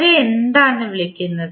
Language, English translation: Malayalam, What we call them